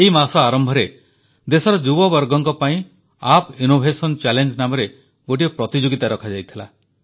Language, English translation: Odia, At the beginning of this month an app innovation challenge was put before the youth of the country